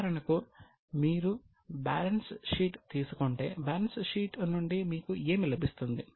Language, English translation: Telugu, For example, if you take balance sheet, what do you get from balance sheet